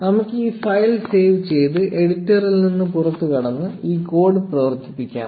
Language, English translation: Malayalam, So, let us save this file, exit the editor and run this code